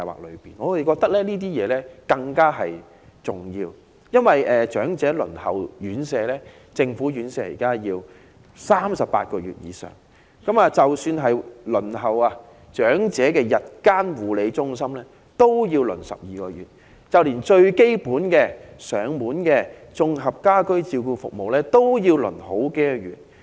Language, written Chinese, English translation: Cantonese, 我們認為這些設施更為重要，因為現時長者輪候政府院舍要等候38個月以上，即使是輪候長者日間護理中心名額，也要等候12個月，就連最基本的上門綜合家居照顧服務也要輪候數月。, In our view these facilities are more important because it now takes 38 months to wait for a place in a government - run RCHE and 12 months for a place in a day care centre for the elderly . Even for the most fundamental Integrated Home Care Services the elderly may have to wait for months